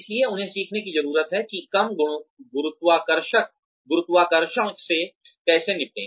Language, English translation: Hindi, So they need to learn, how to deal with less gravity